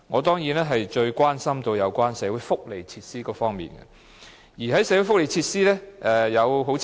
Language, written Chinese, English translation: Cantonese, 當然，我最關心的是有關社會福利設施方面的規劃和標準。, Certainly I am most concerned about the planning and standards in relation to social welfare facilities